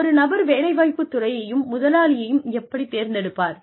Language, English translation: Tamil, How does one select a field of employment, and an employer